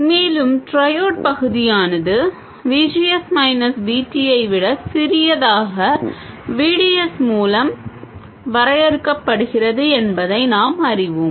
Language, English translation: Tamil, And we know that the triode region is defined by VDS being smaller than VGS minus VT